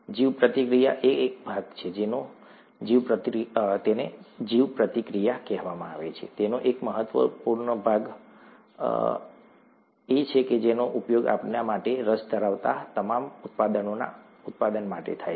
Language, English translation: Gujarati, The bioreactor is a part, an important part of what is called a bioprocess, and the bioprocess is the one that is used to produce all these products of interest to us